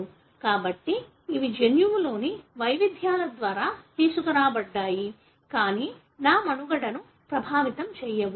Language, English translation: Telugu, So, these are brought about by variations in the gene, but do not affect my survival